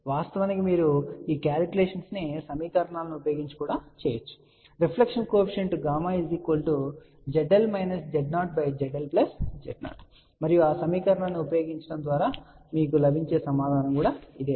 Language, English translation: Telugu, Of course, you can do this calculation using the equations also, reflection coefficient is Z L minus Z 0 divided by Z L plus Z 0 and this will be the same answer you will get by using that equation